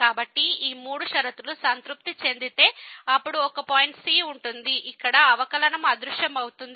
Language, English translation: Telugu, So, if these three conditions are satisfied then there will exist a point where the derivative will vanish